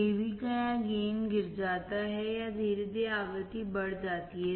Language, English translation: Hindi, Av or gain falls or drops off gradually as the frequency is increased